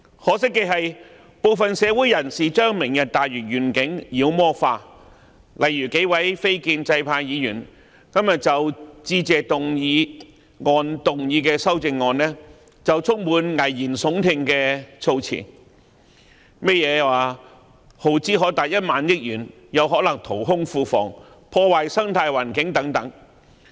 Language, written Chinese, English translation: Cantonese, 可惜的是，部分社會人士把"明日大嶼願景"妖魔化，例如數位非建制派議員今天就致謝議案動議修正案的發言便充滿危言聳聽的措辭，例如耗支可達1萬億元，有可能淘空庫房，破壞生態環境等。, Regrettably some people in the community have demonized the Lantau Tomorrow Vision . For instance the speeches of several non - establishment Members in moving their amendments to the Motion of Thanks today were full of alarmist words . Some examples are that the spending of as much as 1,000 billion may result in a depletion of the public coffers and the plan will damage the ecological environment